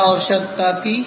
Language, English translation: Hindi, What was the requirement